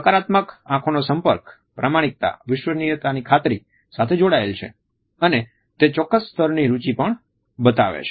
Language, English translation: Gujarati, A positive eye contact is related with credibility honesty trustworthiness and it also shows a certain level of interest